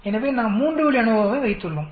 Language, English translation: Tamil, So we have a 3 way ANOVA